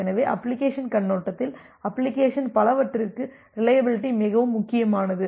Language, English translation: Tamil, So, that is why from the application perspective, reliability is at most importance for many of the application